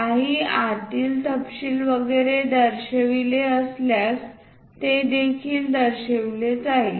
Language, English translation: Marathi, If any inner details and so on to be shown that will also be shown